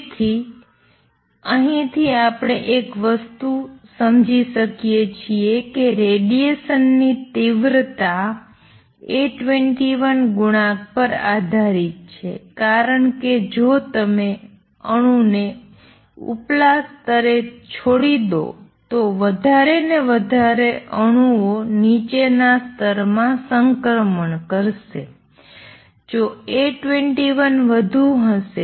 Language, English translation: Gujarati, So, one thing we understand from here is number one that the intensity of radiation will depend on A 21 coefficient because if you leave and atom in the upper level it will make more and more atoms will make transition to lower levels if A 21 is larger